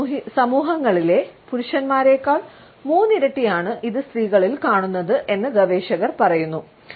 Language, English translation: Malayalam, Researchers tell us that it is three times as often as men in different societies, we find that in women